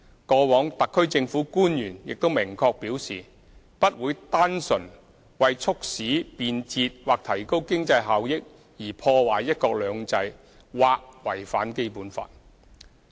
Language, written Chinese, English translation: Cantonese, 過往，特區政府官員亦明確表示，不會單純為促使便捷或提高經濟效益而破壞"一國兩制"或違反《基本法》。, HKSAR Government officials have also clearly stated in the past that one country two systems will not be harmed or the Basic Law contravened just for the sake of promoting convenience or enhancing economic benefits and efficiency